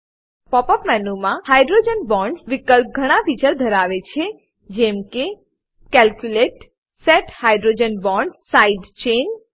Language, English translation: Gujarati, The Hydrogen Bonds option in the Pop up menu has features such as: Calculate, Set Hydrogen Bonds Side Chain